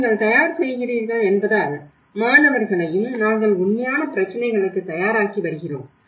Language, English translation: Tamil, Otherwise, because you are preparing, even in the students we are preparing for the real issues